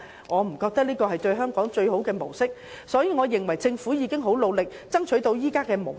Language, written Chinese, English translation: Cantonese, 我認為這並非最有利於香港的模式，所以政府其實已經很努力，才能爭取到現時的模式。, I do not think that such an approach will serve the best interest of Hong Kong . In this sense the current approach is actually the outcome of the strenuous effort of the Government